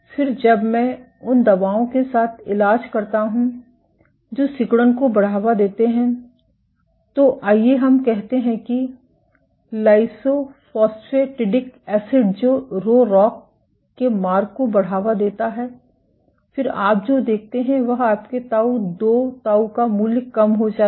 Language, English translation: Hindi, Again, when I treat with drugs which promote contractility there let us say lysophosphatidic acid which promotes the Rho ROCK pathways then what you see is your tau 2 tau value is decreased